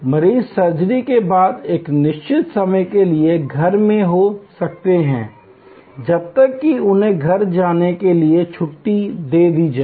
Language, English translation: Hindi, The patients could be in house for a certain time after surgery till they were well enough to be discharged to go home